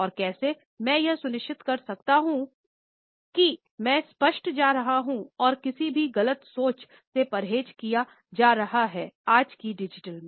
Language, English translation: Hindi, And how can I make sure I am being clear and avoiding being misunderstood in today’s digital